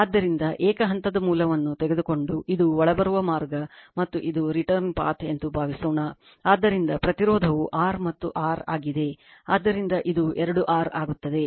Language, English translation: Kannada, Therefore, suppose if you take a single phase source and suppose this is incoming path and this is return path, so resistance is R and R, so it will be two R right